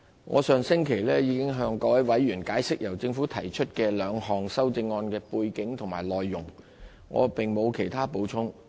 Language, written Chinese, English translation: Cantonese, 我上星期已經向各位委員解釋，由政府提出的兩項修正案的背景及內容，我並無其他補充。, I already explained the backgrounds and contents of the two amendments proposed by the Government last week and I have nothing further to add